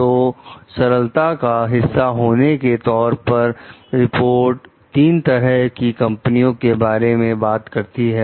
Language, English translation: Hindi, So, as a part of the simplicity, the report talks of three types of companies